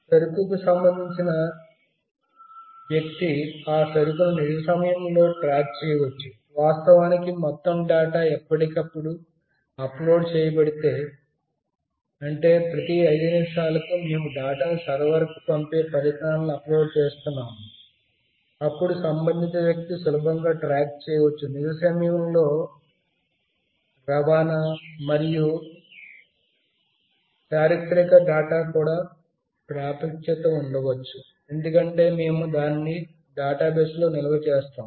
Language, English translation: Telugu, The concerned person can track the consignment in real time, of course if all the data is uploaded time to time let us say every 5 minutes, we are uploading the devices sending the data to a server, then the concerned person can easily track the consignment in real time; and may also have access to historical data, because we are storing it in a database